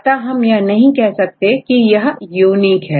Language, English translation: Hindi, We cannot say this is very unique that only we will do